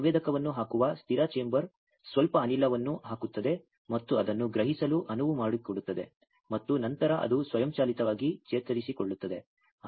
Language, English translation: Kannada, A static chamber where you just put the sensor put some gas and allow it to sense and then automatically it gets recovered